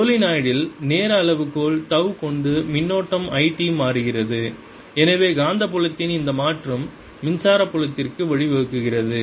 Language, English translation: Tamil, in the solenoid there is current i t changing in with time scale, tau, and therefore this change in magnetic field gives rise to the electric field